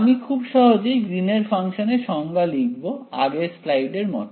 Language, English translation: Bengali, I will like this define Green’s function very simply like from the last slide